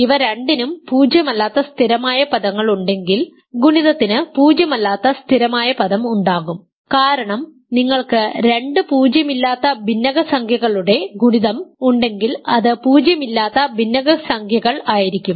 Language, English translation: Malayalam, If both have non zero constant terms clearly the product will continue to have non zero constant term because if you have product of two rational non zero rational numbers is a rational non zero rational number